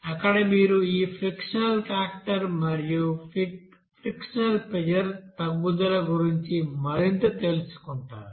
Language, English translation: Telugu, There you I think will know more about this friction factor and frictional pressure drop